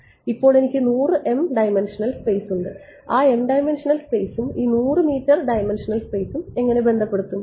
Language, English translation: Malayalam, Now I have 100 m dimensional space how do I relate that m dimensional space and this 100 m dimensional space